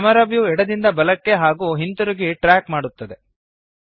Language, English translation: Kannada, The Camera view moves left to right and vice versa